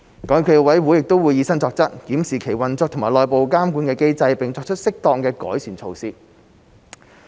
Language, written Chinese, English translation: Cantonese, 港協暨奧委會亦會以身作則，檢視其運作和內部監管機制，並作出適當的改善措施。, To set a good example SFOC will also conduct a review on its own operation and internal monitoring mechanism and make improvements as appropriate